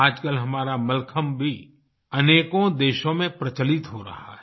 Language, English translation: Hindi, Nowadays our Mallakhambh too is gaining popularity in many countries